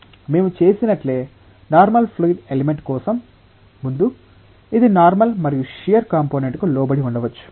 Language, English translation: Telugu, Just like what we did earlier for a general fluid element, which may be subjected to normal and shear component